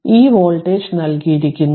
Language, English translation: Malayalam, Now, this voltage is given